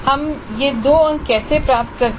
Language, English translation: Hindi, Now how do we get these two marks